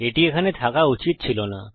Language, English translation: Bengali, That wasnt supposed to be there